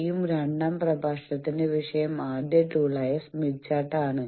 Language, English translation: Malayalam, The first tool will be the topic of this 2nd lecture Smith Chart